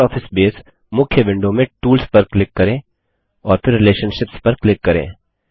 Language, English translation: Hindi, In the Libre Office Base main window, let us click on Tools and then click on Relationships